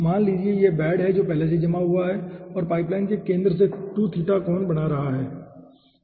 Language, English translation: Hindi, let say this bed, which has already settled, is making 2 theta angle, okay, from the centre of the pipeline